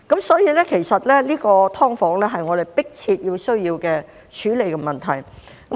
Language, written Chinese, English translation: Cantonese, 所以，其實"劏房"是我們迫切需要處理的問題。, Therefore SDUs is actually a problem that urgently need to be addressed